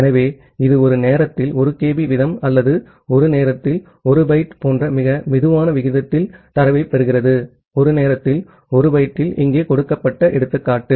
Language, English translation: Tamil, So, it is receiving data at a very slow rate like at a rate of 1 kB at a time or 1 byte at a time the example that is given here at 1 byte at a time